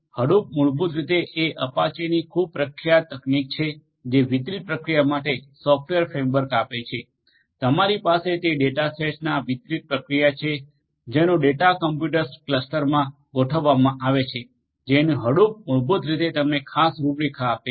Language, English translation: Gujarati, Hadoop is basically a very popular technology from apache, which gives a software framework for distributed processing of large data sets you have large data sets distributed processing of those data sets in a cluster of computers is what Hadoop basically specifically gives you the framework for